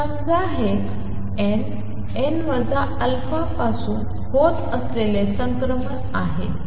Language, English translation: Marathi, Let us say this is transition taking place from n n minus alpha